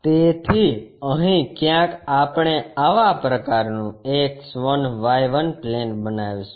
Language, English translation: Gujarati, So, somewhere here we make such kind of X1 Y1 plane